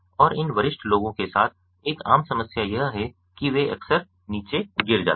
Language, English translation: Hindi, and one of the common problems with this senior people is that, ah, you know, they often ah fall down, right